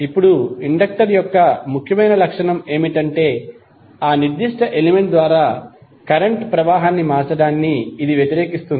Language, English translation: Telugu, Now, important property of this inductor is that it will oppose to the change of flow of current through that particular element